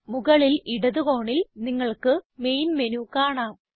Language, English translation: Malayalam, You can see the main menu on the top left hand side corner